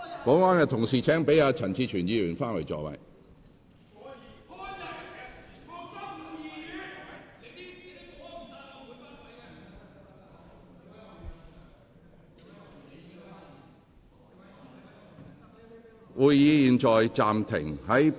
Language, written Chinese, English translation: Cantonese, 保安人員，請讓陳志全議員返回座位。, Security personnel please let Mr CHAN Chi - chuen return to his seat